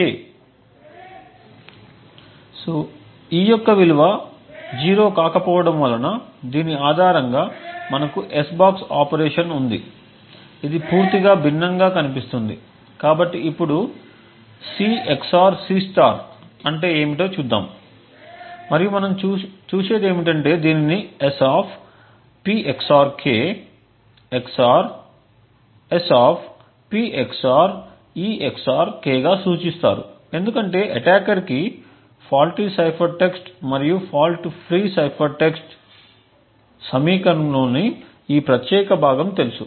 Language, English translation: Telugu, Note that since e has a value which is not equal to 0 therefore we have an s box operation based on this which would look completely different, so now let us look at what C XOR C* is and what we see is that we can represent this as S[ P XOR k] XOR S[P XOR e XOR k], since the attacker knows the faulty cipher text and fault free cipher text this particular component of the equation is known